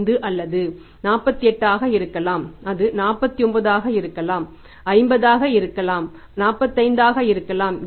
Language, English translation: Tamil, It can be 48, it can be 49, it can be 50, it can be 45